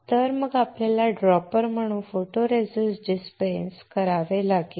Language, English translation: Marathi, So, then we have to dispense the photoresist using a dropper